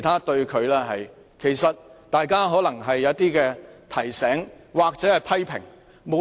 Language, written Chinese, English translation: Cantonese, 大家可能只是給予他一些提醒或批評。, Perhaps Members merely wish to give him a certain reminder or criticize him